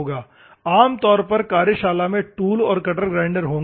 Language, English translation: Hindi, Normally, the workshop will have tool and cutter grinders